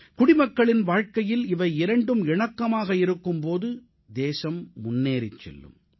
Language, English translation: Tamil, A balance between these two in the lives of our citizens will take our nation forward